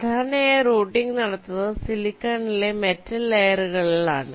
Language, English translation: Malayalam, now, usually this routing is carried out on the metal layers in silicon